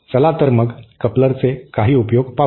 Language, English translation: Marathi, So, let us see some applications of a coupler